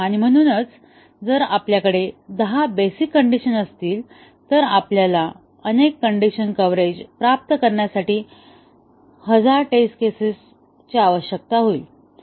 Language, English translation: Marathi, And therefore, if we have ten basic conditions, we need thousand test cases to achieve multiple condition coverage